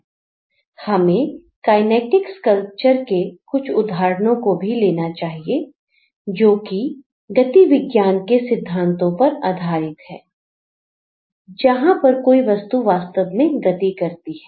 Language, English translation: Hindi, They should also consider quite a few other examples like the kinetic sculptures like which are based on the kinematic principles where the object actually moves